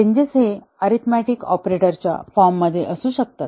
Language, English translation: Marathi, The changes may be in the form of changing an arithmetic operator